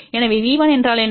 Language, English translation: Tamil, So, what is V 1